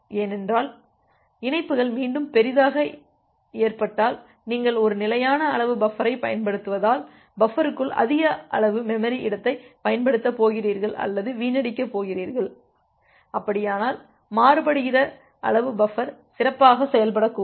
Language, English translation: Tamil, Because if the connections are heavily loaded again, you are going to use or going to waste huge amount of memory space inside the buffer because you are using a fixed size buffer, then in that case the variable size buffer may perform well